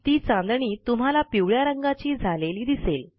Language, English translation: Marathi, You see that the star turns yellow